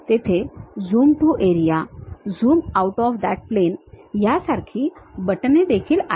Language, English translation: Marathi, There are buttons like Zoom to Area, zoom out of that plane also